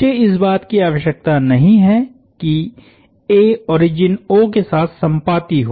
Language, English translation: Hindi, I do not need this origin O to coincide with A